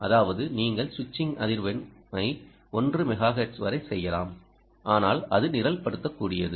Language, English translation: Tamil, that means you can program the switching frequency ah, up to one megahertz, you can, and, but it is programmable